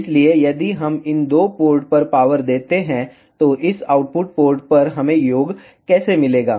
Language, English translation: Hindi, So, if we give power at these two port, how we will get the sum at this output port